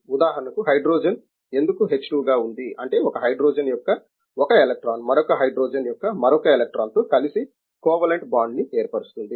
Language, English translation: Telugu, For example, why hydrogen is present as h2, that is because of the one s electron of one hydrogen combines with another one s electron of another hydrogen making a covalent bond